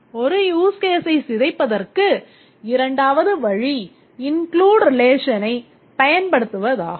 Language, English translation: Tamil, The second way to decompose a use case is by using the include relation